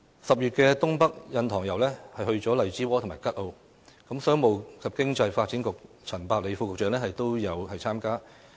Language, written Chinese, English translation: Cantonese, 10月的"東北印塘遊"便去了荔枝窩和吉澳，商務及經濟發展局陳百里副局長也有參加。, The Tour of Double Haven in the Northeast in October took the participants to Lai Chi Wo and Kat O and among the participants was Dr Bernard CHAN Under Secretary for Commerce and Economic Development